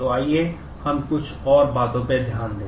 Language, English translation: Hindi, So, let us look into some more